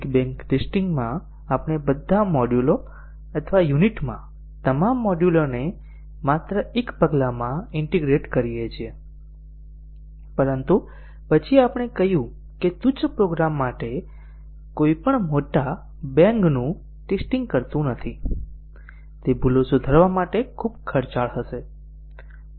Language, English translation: Gujarati, In big bang testing, we just integrate all the modules in all the modules or units in just one step, but then we said that for a non trivial program, nobody does a big bang testing, it would be too expensive to fix bugs in a big bang testing